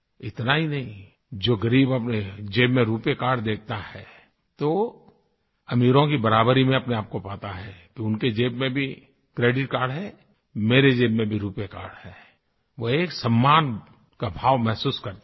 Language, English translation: Hindi, Not just this, when a poor person sees a RuPay Card, in his pocket, he finds himself to be equal to the privileged that if they have a credit card in their pockets, I too have a RuPay Card in mind